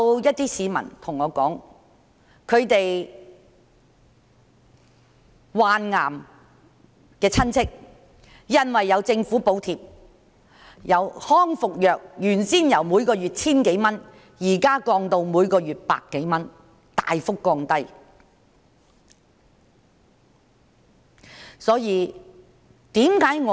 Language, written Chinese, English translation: Cantonese, 有些市民對我說，他們患癌的內地親戚因為有政府補貼，康復藥由原先每月 1,000 多元，現時降至每月百多元，是大幅的下降。, Some members of the public tell me that their Mainland relatives who suffer from cancer are subsidized by the Government . The charge for rehabilitation medicine has been reduced from 1,000 Yuan per month to a little over 100 Yuan a month